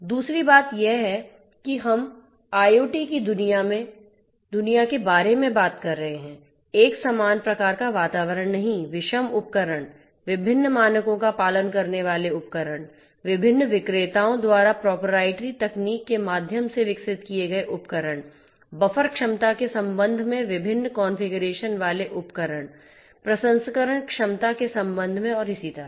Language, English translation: Hindi, Second thing is that we are talking about in the IoT world, not a homogeneous kind of environment, heterogeneous devices; devices following different standards, devices which have been developed through proprietary means using proprietary technology by different different vendors, devices having you know different configurations with respect to storage, with respect to processing capability and so on